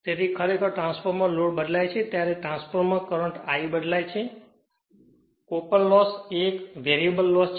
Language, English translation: Gujarati, So, actually transformer if load varies transformer current I varies, therefore, this copper loss is a variable loss right